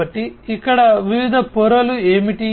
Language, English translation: Telugu, So, what are the different layers over here